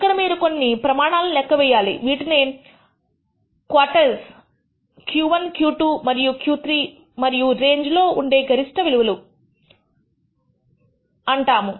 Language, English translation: Telugu, Here you will compute quantities called quartiles Q 1, Q 2 and Q 3 and the minimum and maximum values in the range